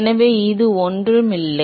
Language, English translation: Tamil, So, this is nothing but